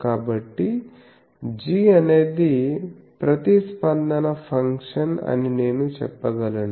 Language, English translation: Telugu, So, g is the response function I can say this is a response function